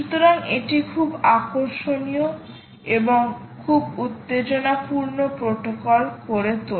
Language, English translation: Bengali, so that makes it very interesting and very exciting protocol